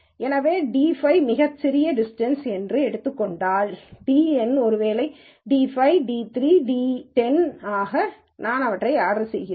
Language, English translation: Tamil, So, let us say if dn is the smallest distance, so dn maybe d 5, d 3, d 10, whatever it is, so I order them